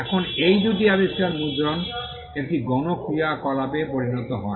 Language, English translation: Bengali, Now these two inventions lead to printing becoming a mass activity